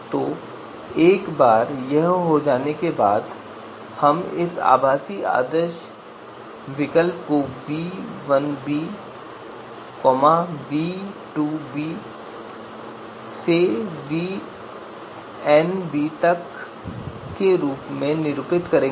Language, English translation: Hindi, So once this is done then we will get this virtual ideal alternative denoted as v1b v2b up to vn you know b